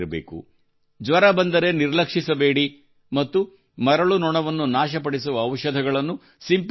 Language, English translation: Kannada, Do not be negligent if you have fever, and also keep spraying medicines that kill the sand fly